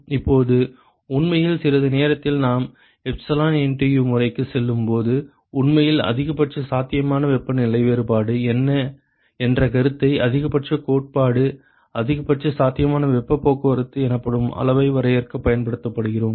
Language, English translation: Tamil, Now in fact in a short while we are right when we go to epsilon NTU method we actually be using this concept of maximum possible temperature difference to define a quantity called maximum theoretical, maximum possible heat transport